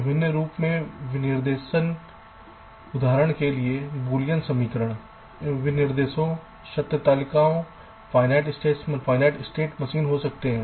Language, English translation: Hindi, for example, boolean equations can be specifications, truth tables, finite state machines and etcetera